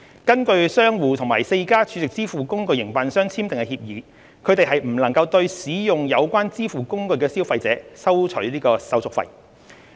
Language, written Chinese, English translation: Cantonese, 根據商戶與4間儲值支付工具營辦商簽訂的協議，他們不能對使用有關支付工具的消費者收取手續費。, According to the agreements signed between the merchants and the four SVF operators they cannot charge consumers any extra handling fees for using the SVFs